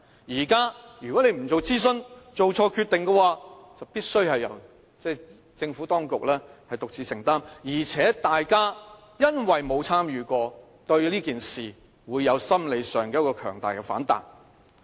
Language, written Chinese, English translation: Cantonese, 現在如果政府不進行諮詢而做錯決定，必須由政府當局獨自承擔，而且大家因為沒有參與其中，心理上便會對此事有強大的反彈。, Yet if the Government denies public consultation and makes mistakes in its policies it has to shoulder full responsibility for the faults . Worse still as the public are not engaged in the process they are set to react strongly